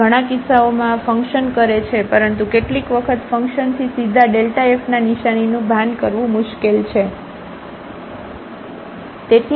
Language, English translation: Gujarati, So, in many cases this works, but sometimes this is difficult to realize the sign of delta f directly from the function